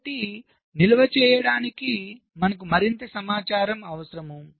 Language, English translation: Telugu, so you need more information to be stored